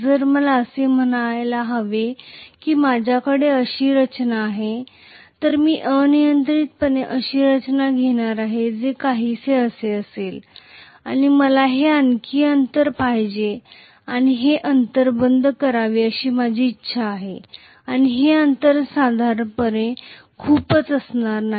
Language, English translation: Marathi, If let us say I have a structure like this, I am just going to arbitrarily take a structure which is somewhat like this and I want some other piece to come and close this gap and this gap is normally a lot this is not going to be closed at all